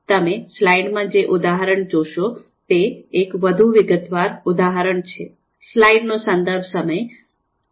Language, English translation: Gujarati, This is a more detailed example as you would see in the slide